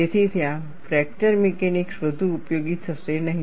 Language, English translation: Gujarati, So, there fracture mechanics would not be of much use